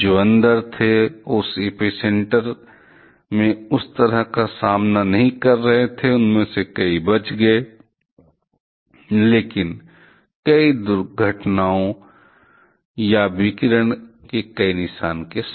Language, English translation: Hindi, Those who were inside and was not facing that kind of in that epicenter, they many of them survived, but with several incidents or several marks of radiation